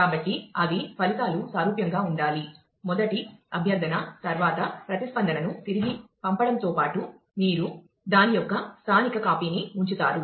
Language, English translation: Telugu, So, that they are results should be similar then, after the first request besides sending the response back, you actually keep a local copy of that